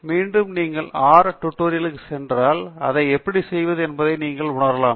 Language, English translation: Tamil, Again, if you go to the R tutorial, you can realize how to do that